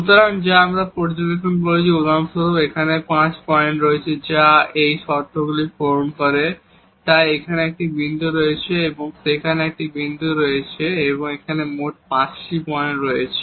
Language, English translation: Bengali, So, which we have observe that, there are for example, here 5 points, which satisfy these conditions, so there is a point here and there is a point there and also there are a total 5 points here